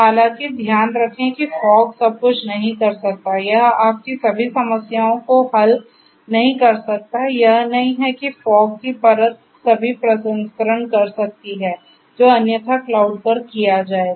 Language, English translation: Hindi, However, keep in mind that fog cannot do everything; it cannot solve all your problems it is not that fog layer can do all the processing, that would be otherwise done at the cloud